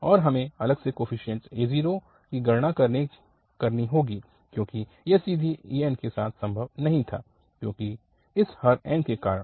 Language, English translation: Hindi, So, the coefficient is 0, we have compute separately because this was not possible directly with the an because of this denominator n